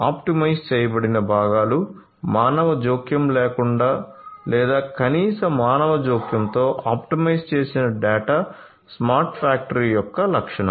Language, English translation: Telugu, Optimized components optimized data without any human intervention or with minimal human intervention is a characteristic of a smart factory